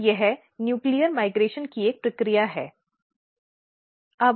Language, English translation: Hindi, So, there is a process of nuclear migration